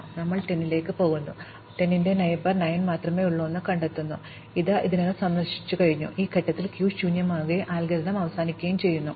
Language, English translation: Malayalam, Finally, we go to 10, we find it has only one neighbor 9, which is already visited, at this stage the queue becomes empty and the algorithm terminates